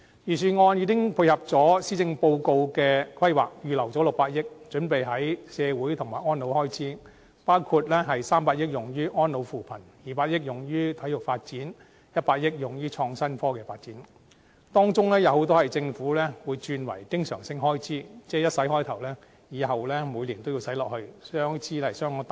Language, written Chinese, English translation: Cantonese, 預算案已經配合施政報告的規劃，預留600億元，準備用於社會及安老開支，包括300億元用於安老扶貧 ，200 億元用於體育發展，以及100億元用於創新科技發展，當中有很多被政府轉為經常性開支，即開始發展後，每年也要繼續投資下去，開支相當大。, This will include 30 billion on elderly care and poverty alleviation 20 billion on sports development and 10 billion on innovation and technology IT development . Most of these spending will be regularized by the Government to become recurrent expenditure . This means that after the development has commenced there will be continuous investment year after year and thus the amount of expenditure will be enormous